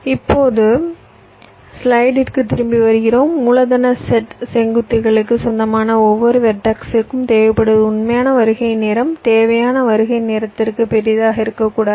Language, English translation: Tamil, so, coming back to the slide, so we, for every vertex v belonging to capital set of vertices, the requirement is the actual arrival time should not be grater then the required arrival time